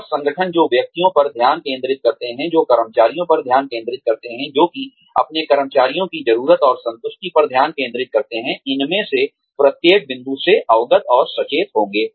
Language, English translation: Hindi, And, organizations, that focus on individuals, that focus on employees, that focus on the needs and satisfaction of their employees, will be aware of, and alert to each of these points